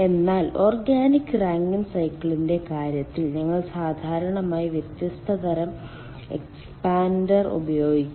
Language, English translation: Malayalam, but in case of ah organic rankine cycle generally we use different kind of expander